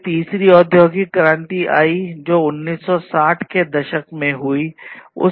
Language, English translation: Hindi, Then came the third industrial revolution that was in the 1960s and so on